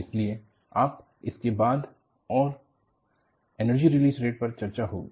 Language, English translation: Hindi, So, this will be followed by Energy Release Rate